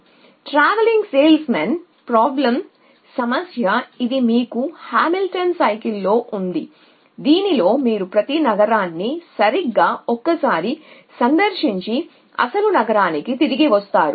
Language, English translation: Telugu, So, as you know the TSP of the travelling salesmen problem the problem where you have to have Hamiltonian cycle b in which you visit every city exactly once and come back to the original cities essentially and 1